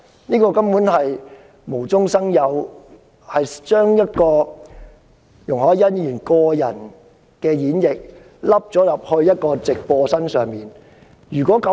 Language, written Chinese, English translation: Cantonese, 這根本是無中生有的，是容海恩議員將個人演繹硬套在他的直播行為之上。, This is sheer fabrication and Ms YUNG Hoi - yan has imposed her subjective interpretation on his act of live streaming